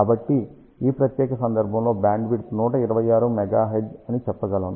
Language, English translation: Telugu, So, in this particular case we can say bandwidth is about 126 megahertz